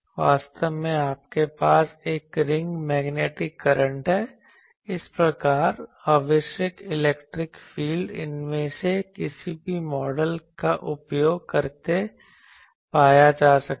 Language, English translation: Hindi, Actually you have a ring magnetic current thus, the electric field required can be found using any of these models